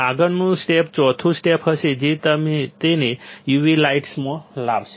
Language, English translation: Gujarati, Next step will be 4th step which is expose it to u v light